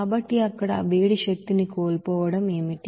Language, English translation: Telugu, So what will be the loss of that heat energy there